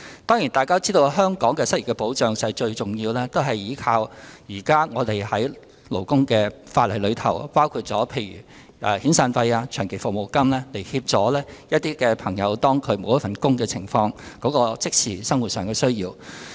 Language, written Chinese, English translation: Cantonese, 當然，大家也知道，香港的失業保障最主要是依靠現行的勞工法例，例如以遣散費及長期服務金來協助那些失去工作人士的即時生活需要。, Certainly Members also know that unemployment benefits in Hong Kong are mainly provided under the existing labour legislation . For example severance payments and long service payments are used to meet the immediate daily needs of people who have lost their jobs